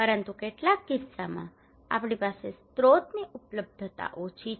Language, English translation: Gujarati, But some cases right we have less resource availability